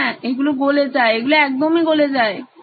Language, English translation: Bengali, Yes, it melts, it can actually melt